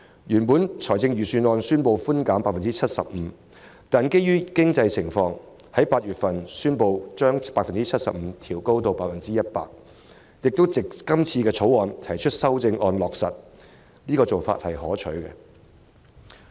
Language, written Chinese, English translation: Cantonese, 預算案原本建議 75% 寬免比率，但基於經濟情況，財政司司長於8月宣布將相關比率由 75% 調高至 100%， 並藉着今次對《條例草案》提出修訂加以落實，這做法是可取的。, A tax reduction of 75 % was originally proposed in the Budget . However in light of the economic conditions the Financial Secretary announced in August an increase in the reduction from 75 % to 100 % while rightly implementing the proposal through an amendment to the Bill